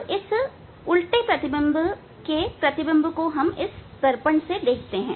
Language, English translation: Hindi, Now, look at the image of this inverted image to the mirror